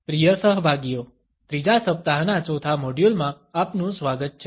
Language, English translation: Gujarati, Welcome dear participants, in the 4th module of the 3rd week